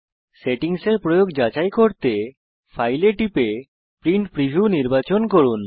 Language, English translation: Bengali, To check how the settings have been applied, click File and select Print Preview